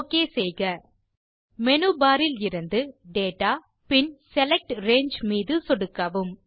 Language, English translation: Tamil, Again, from the Menu bar, click Data and Select Range